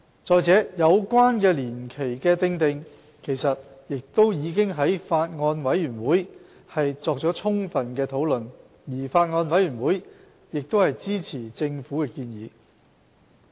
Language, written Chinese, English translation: Cantonese, 再者，有關年期的訂定，其實亦已經在法案委員會作了充分討論，而法案委員會亦支持政府的建議。, Moreover the duration concerned has been thoroughly discussed in the Bills Committee which supports the Governments proposal